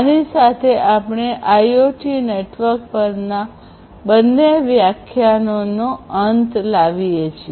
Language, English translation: Gujarati, With this we come to an end of both the lectures on IoT networks